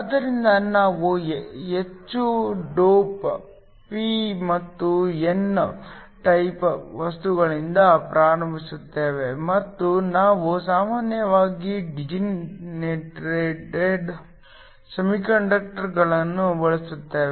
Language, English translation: Kannada, So, we start with heavily doped p and n type materials and we usually used degenerates semiconductors